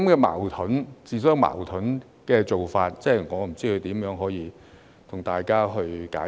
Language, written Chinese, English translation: Cantonese, 這種自相矛盾的做法，我也不知如何向大家解釋。, This is so self - contradicting that I do not know how to explain it